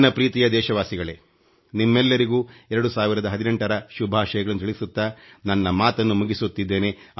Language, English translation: Kannada, My dear countrymen, with my best wishes to all of you for 2018, my speech draws to a close